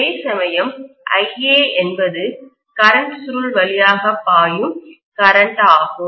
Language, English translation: Tamil, Whereas IA is the current that is flowing through the current coil